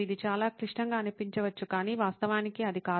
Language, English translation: Telugu, It may look very complicated but it is actually not